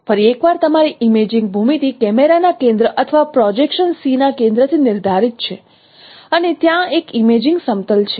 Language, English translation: Gujarati, Once again your imaging geometry is defined by a center of camera or center of projection C and there is an imaging plane